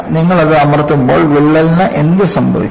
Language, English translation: Malayalam, You know you press it, you find, what happens to the crack